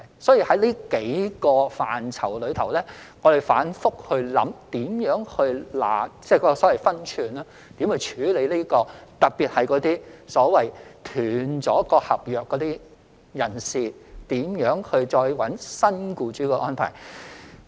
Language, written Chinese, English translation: Cantonese, 所以，在這數個範疇之中，我們反覆思量，如何拿捏分寸，特別是那些已中斷合約的外傭再尋覓新僱主的安排。, Hence we have repeatedly assessed and evaluated these several aspects . We are particularly concerned about the arrangements on FDHs whose contracts have been terminated and are looking for new employers